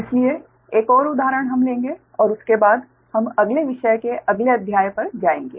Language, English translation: Hindi, so next, another example we will take, and after that we will go to the next chapter, right